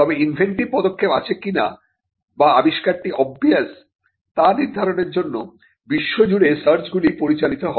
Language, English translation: Bengali, But patentability searches throughout the world are directed in determining whether there is inventive step, or whether the invention is obvious or not